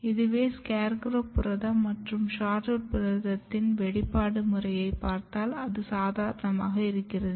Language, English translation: Tamil, And if you look the expression pattern of SHORTROOT, SCARECROW protein and SHORTROOT protein, and what you find that the expression looks quite normal